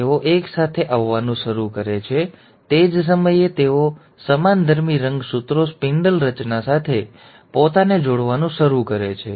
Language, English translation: Gujarati, They they start coming together, at the same time, they also, the homologous chromosomes start attaching themselves to the spindle formation